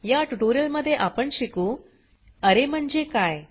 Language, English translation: Marathi, In this tutorial we will learn, What is an array